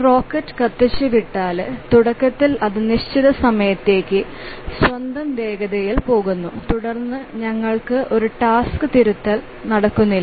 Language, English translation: Malayalam, So, once the rocket is fired, initially it goes on its own momentum for certain time and then we don't have a task correction taking place